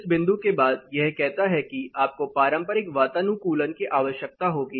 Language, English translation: Hindi, After this find it says you need conventional air conditioning